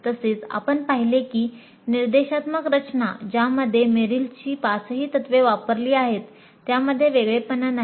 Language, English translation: Marathi, And we saw that the instruction design which implements all the five Merrill's principles is not unique